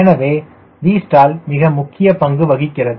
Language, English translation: Tamil, so v stall place, extremely important role